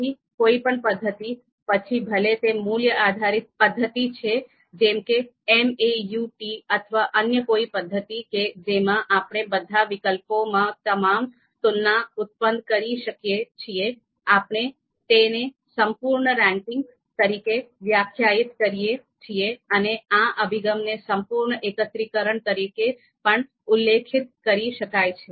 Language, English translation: Gujarati, So any method, so whether it is a value based methods like MAUT or you know any other method method where we can actually produce you know all the comparisons comparisons among all the alternatives, we define it we define it as a complete ranking and this approach is referred as full aggregation approach